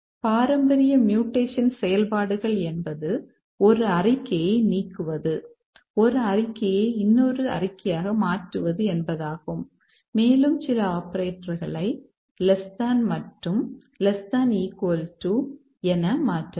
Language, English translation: Tamil, Some of the traditional mutation operators are delete a statement, replace one statement with another, we can change some operators less than equal to